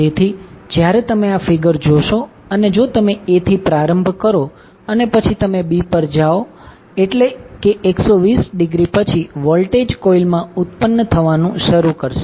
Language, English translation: Gujarati, So, when, when you see in this figure if you start from A then if you move to B that means that after 120 degree the voltage will start building up in the coil